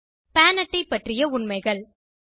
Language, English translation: Tamil, Facts about pan card